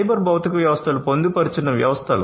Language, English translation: Telugu, Cyber physical systems are embedded systems